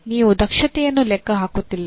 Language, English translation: Kannada, You are not calculating the efficiency